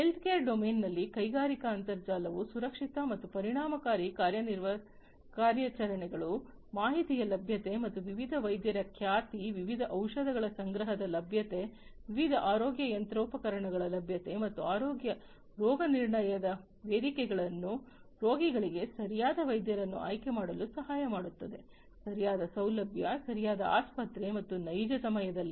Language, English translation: Kannada, In the healthcare domain industrial internet enables safe and efficient operations, availability of the information, and reputation of different doctors, availabilities of stock of different medicines, availability of different healthcare machinery, and healthcare diagnostic platforms can help the patients to choose the right doctor, the right facility, the right hospital and so, on in real time